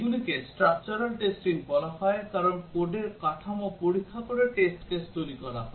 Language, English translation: Bengali, These are called as structural testing because the test cases are developed by examining the structure of the code